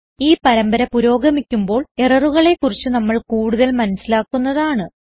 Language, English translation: Malayalam, As the series progresses, we will learn more about the errors